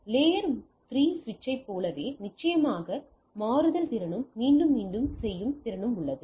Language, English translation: Tamil, Like layer 3 switch has a definitely a switching capability and also a repeating capability right